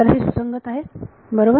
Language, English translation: Marathi, So, its consistent right